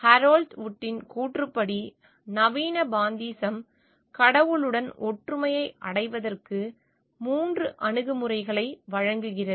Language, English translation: Tamil, According to Harold Wood modern pantheism offers 3 approaches to achieving oneness with god